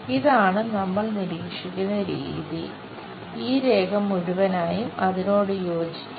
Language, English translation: Malayalam, This is the way we observe and this entire line, will coincide with it